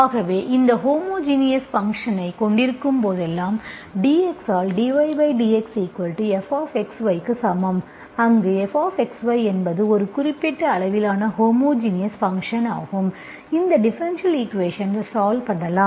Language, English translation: Tamil, So whenever you have this homogeneous function, so dy by dx equal to f of x, y, where f of x, y is a homogeneous function of certain degree, you can solve this differential equation